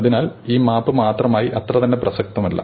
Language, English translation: Malayalam, So, the map itself is not relevant